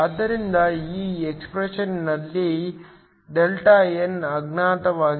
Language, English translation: Kannada, So, the only unknown in this expression is Δn